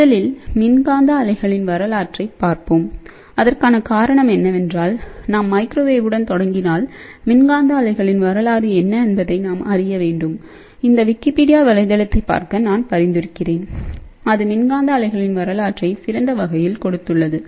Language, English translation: Tamil, So, let us just look at the history of electromagnetic waves first the reason for that is that before we start with the microwave, we must look at what is the history of electromagnetic waves and I would actually recommend that you please see this particular website ah which is of course, Wikipedia excellent coverage is given on the history of electromagnetic waves